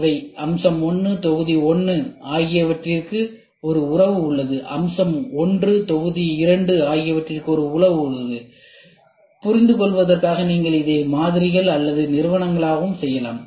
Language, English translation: Tamil, So, feature 1, module 1 there is a relationship; feature 1, module 2 there is a relationship; you can just for understanding you can make this as models also or companies also